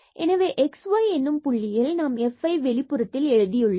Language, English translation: Tamil, So, that f at x y point we have just written outside